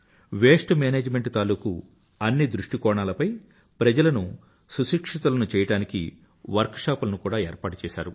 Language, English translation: Telugu, Many Workshops were organized to inform people on the entire aspects of waste management